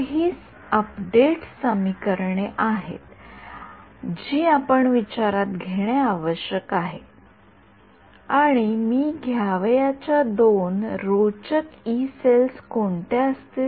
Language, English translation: Marathi, So, these are the update equations that we need to take into account and what will be the two interesting kind of Yee cells that I have to take